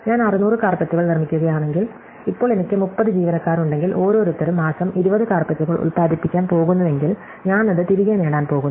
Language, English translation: Malayalam, So, if I make 600 carpets, now if I have 30 employees and each one is going to produce 20 carpets a month, I am going to get that back